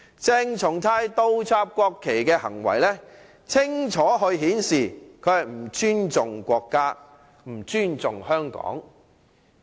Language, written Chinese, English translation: Cantonese, 鄭松泰倒插國旗的行為清楚顯示，他不尊重國家和香港。, CHENG Chung - tais act of inverting the national flag has clearly demonstrated that he does not respect the country and Hong Kong